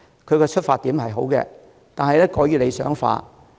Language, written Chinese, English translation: Cantonese, 他的出發點是好的，但過於理想化。, While his proposal is well - intentioned it is too idealistic